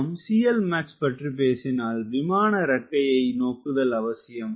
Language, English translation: Tamil, once we are talking about c l max, we are focused towards wing